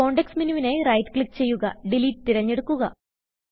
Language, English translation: Malayalam, Right click to view the context menu and select Delete